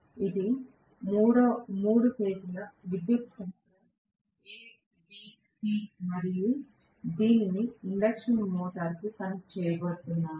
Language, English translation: Telugu, These are the three phase power supplies A B C and I am going to connect this to the induction motor